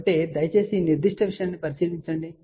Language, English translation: Telugu, So, please look into this particular thing